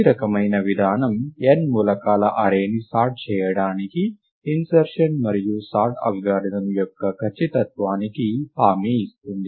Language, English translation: Telugu, This kind of guarantees the correctness of the insertion and sort algorithm, to sort an array of n elements